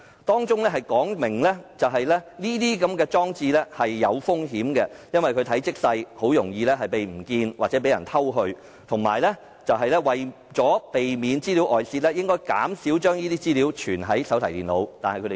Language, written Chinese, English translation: Cantonese, 當中說明使用這些裝置有一定風險，因為它們體積細小，容易遺失或被盜，而且為避免資料外泄，應減少將保密資料儲存在手提電腦。, The guidelines clearly state that the use of such devices may involve certain risks because they are small and can be easily lost or stolen . The guidelines also say that to avoid leakage of information the storage of classified information in laptops should be reduced